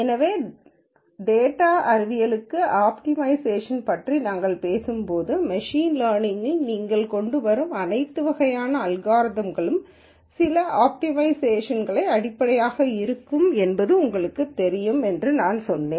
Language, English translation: Tamil, So, when we were talking about optimization for data science, I told you that you know all kinds of algorithms that you come up with in machine learning there will be some optimization basis for these algorithms